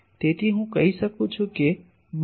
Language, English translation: Gujarati, So, can I say that both